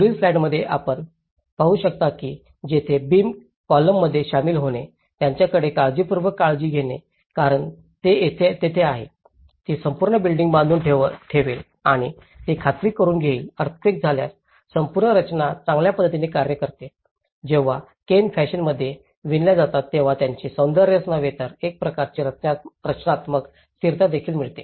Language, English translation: Marathi, That is where you see in the next slide, you can see that here that the joining of the beams and the columns, how carefully they have them because that is where, it is going to tie the whole building and it is going to make sure that the whole structure acts in a better way in terms of the earthquake, when earthquake happens and because when the canes are woven in a fashion it will also not only the aesthetic character of it but it also gives a kind of structural stability